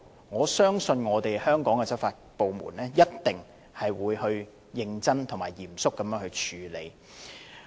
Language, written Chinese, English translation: Cantonese, 我相信香港的執法部門一定會認真及嚴肅處理。, I believe that the law enforcement departments in Hong Kong will definitely deal with them squarely and seriously